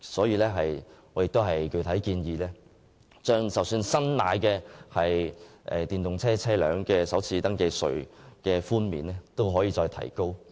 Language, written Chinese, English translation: Cantonese, 因此，我亦具體建議將購買電動車的首次登記稅寬免提高。, Therefore I have also put forth a specific proposal on increasing the FRT concession for purchasing EVs